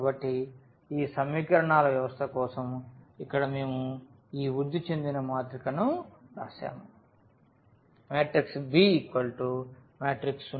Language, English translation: Telugu, So, here for this system of equations we have written here this augmented matrix